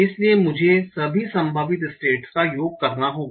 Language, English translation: Hindi, So I have to sum over all the possible states here